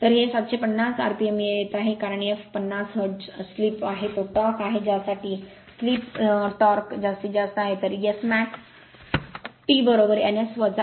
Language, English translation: Marathi, So, it is coming 750 rpm because f is 50 hertz slip that is the torque for which the slip your what you call slip for which torque is maximum, so S max T is equal to n S minus n upon n S